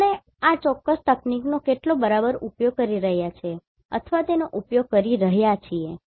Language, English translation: Gujarati, So, how exactly we are availing or using or utilizing this particular technique